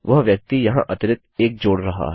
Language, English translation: Hindi, Thats the person adding the extra 1 in there